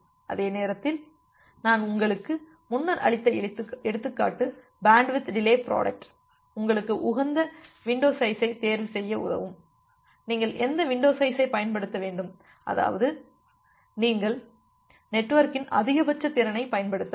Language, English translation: Tamil, And the same time the example that I have given you earlier that bandwidth delay product will help you to choose the optimal window size that what window size you should use such that you can utilize the maximum capacity of the network